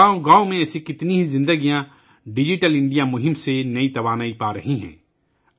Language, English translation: Urdu, How many such lives in villages are getting new strength from the Digital India campaign